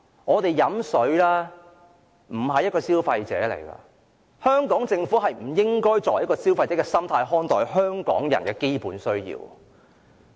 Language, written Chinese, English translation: Cantonese, 在飲用水方面，我們並非消費者，香港政府不應以消費者的心態看待香港人的基本需要。, In the case of securing our drinking water we are not consumers . The Hong Kong Government should not adopt the mentality of a consumer when it takes care of the basic needs of the people of Hong Kong